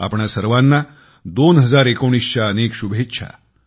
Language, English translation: Marathi, Many good wishes to all of you for the year 2019